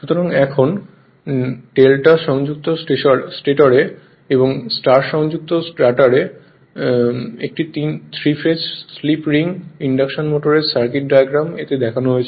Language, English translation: Bengali, So, now circuit diagram of a three phase slip ring induction motor with delta connected stator and [y/star] star connected rotor is shown in this